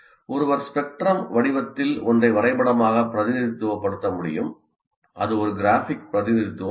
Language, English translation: Tamil, Now one can graphically represent something in the form of a spectrum